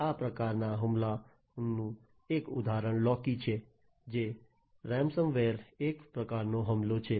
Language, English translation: Gujarati, So, this basically Locky is a ransom ware type of attack